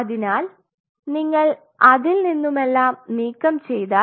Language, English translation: Malayalam, So, if you remove everything out of it